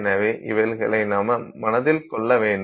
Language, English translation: Tamil, So, that is also something that you have to keep in mind